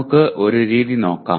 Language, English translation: Malayalam, Let us look at one method